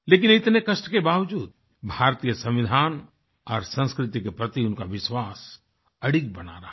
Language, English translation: Hindi, Despite that, their unwavering belief in the Indian Constitution and culture continued